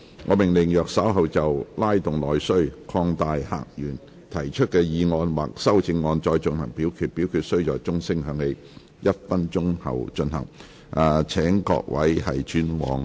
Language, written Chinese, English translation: Cantonese, 我命令若稍後就"拉動內需擴大客源"所提出的議案或修正案再進行點名表決，表決須在鐘聲響起1分鐘後進行。, I order that in the event of further divisions being claimed in respect of the motion of Stimulating internal demand and opening up new visitor sources or any amendments thereto this Council do proceed to each of such divisions immediately after the division bell has been rung for one minute